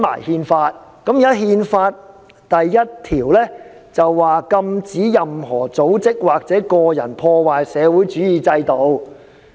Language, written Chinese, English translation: Cantonese, 《憲法》第一條是禁止任何組織或個人破壞社會主義制度。, Article 1 of the Constitution prohibits disruption of the socialist system by any organization and individual